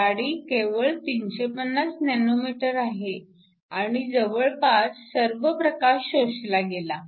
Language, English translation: Marathi, It is only 350 nm and all most all the light is absorbed